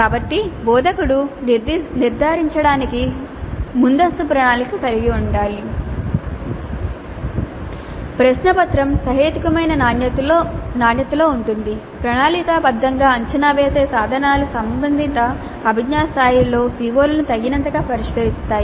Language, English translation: Telugu, So, the instructor has to have upfront planning to ensure that the question paper is of reasonable quality, the assessment instruments that are being planned do address the CBOs sufficiently at the relevant cognitive levels